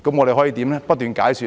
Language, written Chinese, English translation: Cantonese, 便是不斷解說。, We kept explaining the whole thing